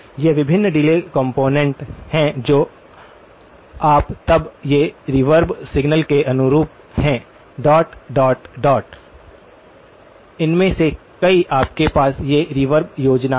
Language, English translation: Hindi, These are different delay components which you then; these correspond to the reverb signals dot, dot, dot several of them you have these reverb combinations